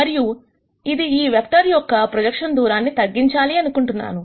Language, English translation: Telugu, And if this is the projection of this vector I want this distance to be minimized